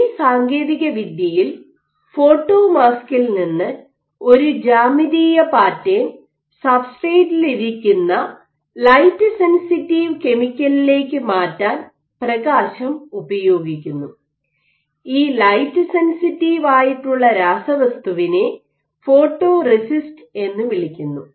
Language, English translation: Malayalam, So, in this technique light is used to transfer a geometric pattern from a photo mask to a light sensitive chemical, this chemical is called photoresist